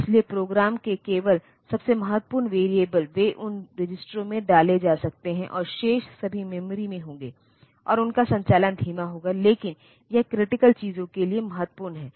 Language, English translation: Hindi, So, only the most important variables in the program they can be put into those registers, and the remaining ones will be in the memory, and their operation will be slow, but this essential the critical one